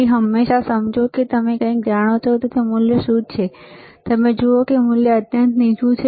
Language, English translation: Gujarati, So, always understand even you know something what is the value you see value is extremely low